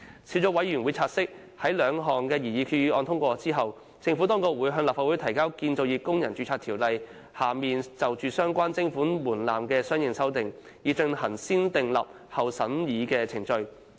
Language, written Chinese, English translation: Cantonese, 小組委員會察悉，在兩項擬議決議案獲通過後，政府當局會向立法會提交《建造業工人註冊條例》下就相關徵款門檻的相應修訂，以進行"先訂立後審議"程序。, It has noted that after the passage of the two proposed resolutions the corresponding amendment of the levy threshold under the Construction Workers Registration Ordinance will be introduced into the Legislative Council for negative vetting